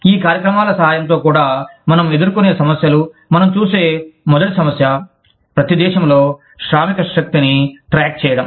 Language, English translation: Telugu, The problems, that we encounter in, even with the help of these programs are, the first problem that we see, is keeping track of workforces, in each country of operation